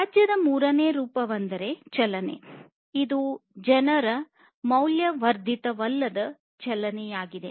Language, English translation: Kannada, Third form of waste is the motion which is basically non value added movement of people